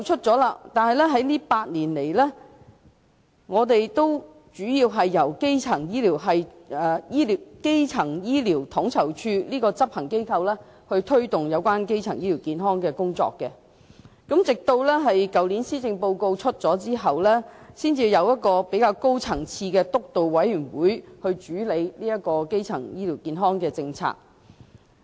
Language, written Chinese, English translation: Cantonese, 這8年來，主要由基層醫療統籌處這個執行機構負責推動基層醫療健康的工作，直至去年施政報告發表後，才成立了較高層次的督導委員會主理基層醫療健康政策。, During these eight years the Primary Care Office was the main implementation agency tasked to promote primary health care . Only after the Policy Address of last year was delivered that a higher - level steering committee was set up to take charge of our primary health care policy